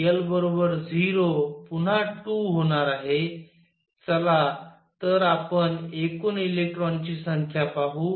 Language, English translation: Marathi, l equals 0 again is going to be 2, let us see the total number of electrons